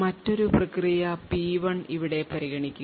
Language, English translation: Malayalam, Now consider another process over here process P1